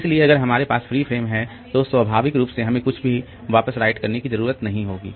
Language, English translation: Hindi, So, if we have free frame then naturally I don't have to write back anything